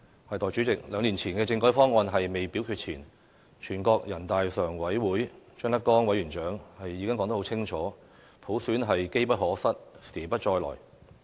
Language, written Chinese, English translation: Cantonese, 代理主席，兩年前的政改方案未表決前，人大常委會委員長張德江已說得很清楚，普選是機不可失，時不再來的。, These are matters of vital importance in Hong Kong . Deputy President before the constitutional reform package was put to vote Mr ZHANG Dejiang Chairman of the Standing Committee of the National Peoples Congress NPCSC had made it very clear that opportunities did not wait